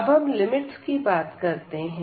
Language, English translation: Hindi, So, let us talk about the limits